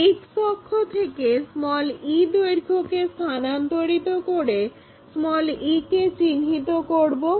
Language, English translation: Bengali, The length from X axis to e point same length we will transfer it to locate it to e